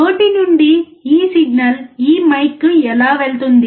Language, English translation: Telugu, How does this signal from the mouth go to this mike